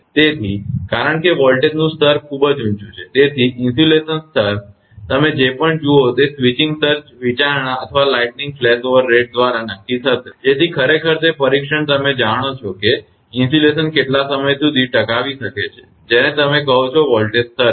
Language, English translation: Gujarati, So, because voltage level is very high so, insulation level, whatever you see it will determine switching surge consideration or by the lightning flashover rate so, that actually the testing at that you know how long that insulation can sustain that you are what you call at that voltage level